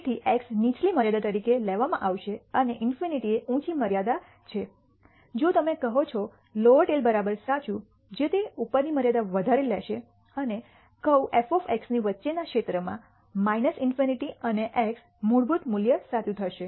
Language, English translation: Gujarati, So, x will be taken as the lower limit and infinity is the higher limit if you say lower dot tail is equal to TRUE it will take excess the upper limit and do the area in under the curve f of x between minus in nity and x the default value is TRUE